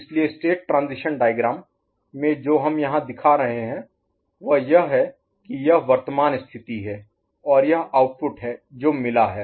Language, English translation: Hindi, So in the state transition diagram what you are we are showing here is that a this is the current state and this is the output that is generated